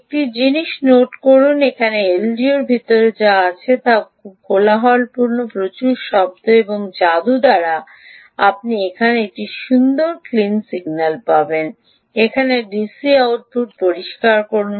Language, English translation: Bengali, ok, note one thing: what is coming in here inside the l d o is very noisy, lot of ripples and by magic you get a nice clean signal here, clean d c output here, whereas here perhaps it is stills bringing right